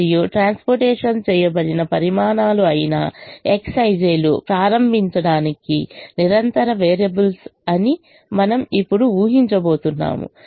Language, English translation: Telugu, and we are now going to assume that the x, i, j's, which are the quantities transported, are continuous variables to begin with